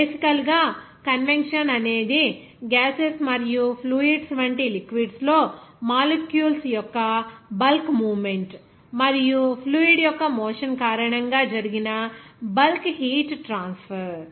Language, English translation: Telugu, Basically, convection is the process of heat transfer by the bulk movement of molecules within fluids such as gases and liquids and the bulk heat transfer that happens due to the motion of the fluid